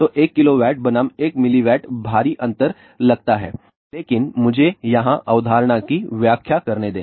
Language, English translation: Hindi, So, 1 kilowatt versus 1 milliwatt sounds huge difference, but let me explain the concept here